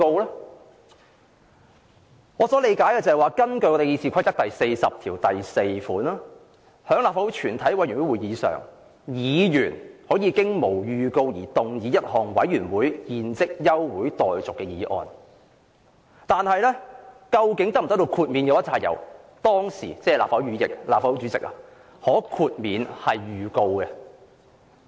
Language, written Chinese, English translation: Cantonese, 按我理解，根據《議事規則》第404條，"在立法會全體委員會會議上，議員可無經預告而動議一項委員會現即休會待續的議案"，但究竟能否獲豁免預告，須由立法會主席判斷。, My understanding is that although Rule 404 of the Rules of Procedure RoP provides that [w]hen the Council is in committee a Member may move without notice that further proceedings of the committee be now adjourned it is up to the President of the Legislative Council to judge whether notice can be dispensed with